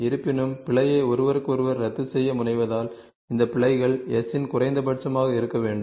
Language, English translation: Tamil, However, since the error tends to cancel out each other sum of these squares of errors S is should be minimum